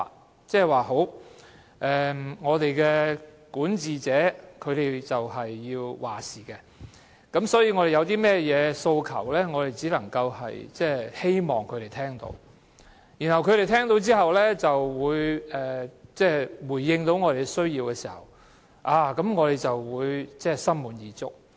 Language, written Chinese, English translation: Cantonese, 公眾也認為管治者是要作主的，因此我們有甚麼訴求，只能希望管治者聽取，然後回應，當他們回應我們的需要時，我們便心滿意足。, The public also thinks that the governor should have the final say . When we have certain demands we would only hope that the governor will heed our views and respond to our requests . If the authorities respond to our needs we will be more than satisfied